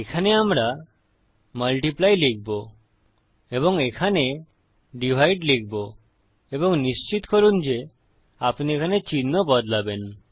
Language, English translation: Bengali, And here well say multiply and well say divide and make sure you change the sign here